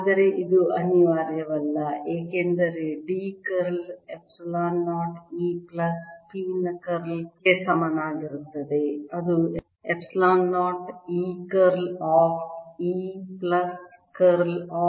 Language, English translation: Kannada, but this is not necessarily true, because curl of d will be equal to curl of epsilon zero, e plus p, which is epsilon zero, curl of e plus curl of p